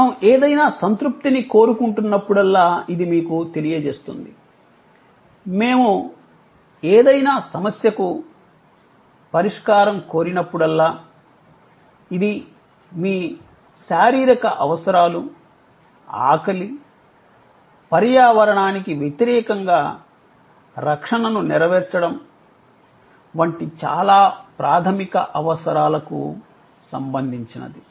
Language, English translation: Telugu, And it will tell you how, whenever we are seeking any satisfaction, whenever we are seeking solution to any problem, it can be related to very basic needs like your physiological needs, hunger, fulfillment or the protection against the environment too cold, too hot